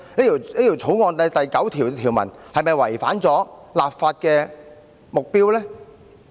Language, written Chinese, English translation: Cantonese, 《條例草案》第9條又是否違反了立法的目標呢？, Is clause 9 of the Bill in contravention of the legislative intent?